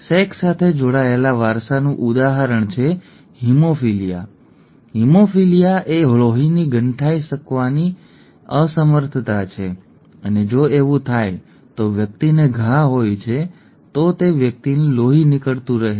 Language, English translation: Gujarati, An example of sex linked inheritance is haemophilia, haemophilia is an inability to inability of the blood to clot and if that happens then the person has a wound then the person continues to bleed